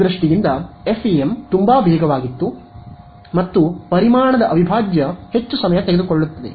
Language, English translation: Kannada, So, in terms of speed FEM was very very fast and volume integral is much more time consuming